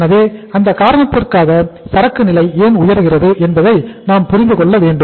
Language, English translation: Tamil, So for that reason we should understand why the inventory level goes up